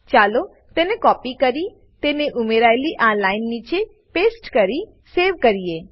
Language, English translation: Gujarati, Let us copy and paste that and add it just below the line we added and save it